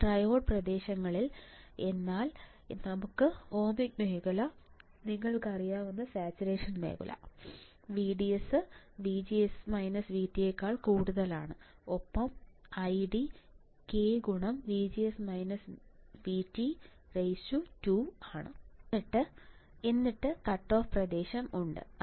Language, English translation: Malayalam, Now, in triode regions is nothing, but your ohmic region, saturation region you know VDS is greater than VGS minus V T and I D equals to k times VGS minus V T volts square and then there is cut off region